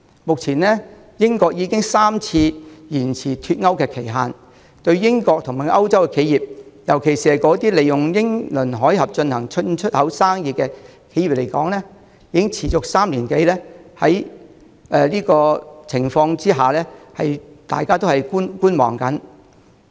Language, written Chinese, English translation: Cantonese, 目前，英國已經3次延遲脫歐期限，對英國和歐洲企業，尤其是那些利用英倫海峽進行進出口生意的企業來說，不確定情況已持續了3年多，大家只能抱觀望態度。, Currently Britain has extended the Brexit deadline for the third time . In the face of the uncertainty which has already persisted for three - odd years British and European enterprises especially those doing import and export business across the English Channel can do nothing but to wait and see what will happen